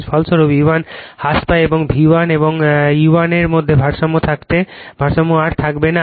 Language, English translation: Bengali, As a result E 1 reduces and the balance between V 1 and E 1 would not would no longer exist, right